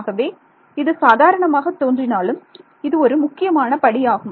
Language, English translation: Tamil, So, it looks it looks trivial, but this is an important step